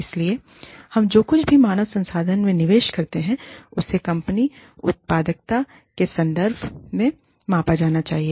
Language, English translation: Hindi, So, whatever, we invest in human resources, should be measured in output, in terms of the output in the company